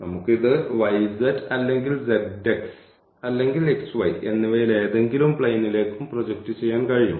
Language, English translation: Malayalam, So, though we can we can project this to any one of these planes we either y z or z x or x y